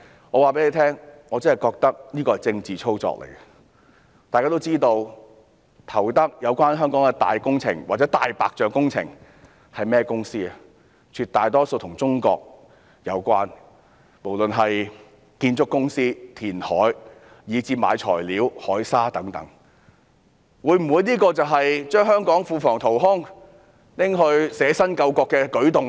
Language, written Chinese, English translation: Cantonese, 我告訴大家，我認為這其實是政治操作，大家都知道在香港投得大型工程或"大白象"工程的是甚麼公司，當中絕大多數都與中國有關，不論是建築公司、填海以至購買材料、海砂等亦如是，這會否就是把香港庫房淘空，拿去捨身救國的舉動呢？, We all know which companies would be awarded the tenders for large - scale works projects or white elephant projects in Hong Kong . A vast majority of them are associated with China the same case applies whether we are speaking of construction companies reclamation works or even the procurement of materials and marine sand etc . Will this be a move to deplete the public coffers of Hong Kong in order to save the country by self - sacrifice?